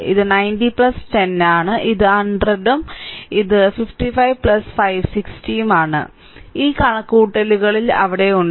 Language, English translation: Malayalam, So, it is 90 plus 10 so, it is 100 and it is 55 plus 560 so, this calculation is there